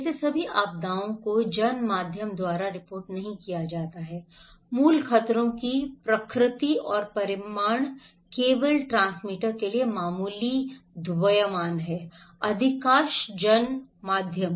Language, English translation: Hindi, Like, all disasters are not reported by the mass media, the nature and magnitude of the original hazards are only minor interest for most of the transmitter, most of the mass media